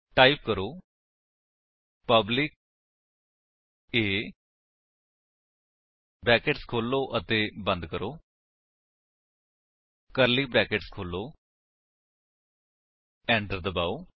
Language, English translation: Punjabi, So, type: public A opening and closing brackets open the curly brackets press Enter